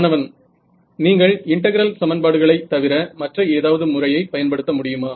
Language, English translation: Tamil, Can you use any other method other than integral equations